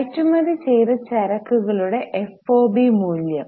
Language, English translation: Malayalam, Fob value of goods exported